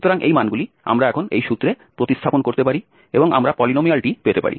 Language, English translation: Bengali, So, these values we can substitute now in this formula and we can get the polynomial